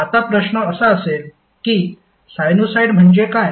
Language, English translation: Marathi, Now the question would be like what is sinusoid